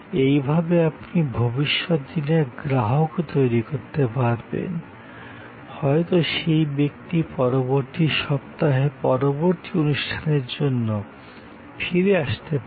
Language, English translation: Bengali, And in the process you may be able to create a future customer, the person may come back next weeks for the next performance